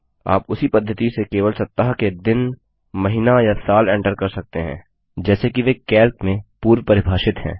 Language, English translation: Hindi, You can enter only weekdays, month or year by the same method as they are pre defined in Calc